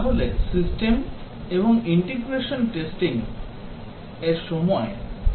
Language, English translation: Bengali, So, during the system and integration testing, the testers carry out these